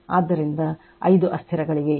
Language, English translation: Kannada, So, there are five variables right